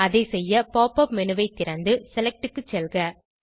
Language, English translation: Tamil, To do this, open the Pop up menu and go to Select